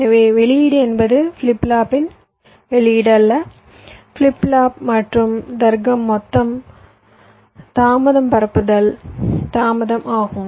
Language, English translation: Tamil, so output means not the output of the flip flop, flip flop plus the logic, the total propagation delay starting from the clock edge